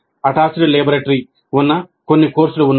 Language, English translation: Telugu, There are certain courses for which there is an attached laboratory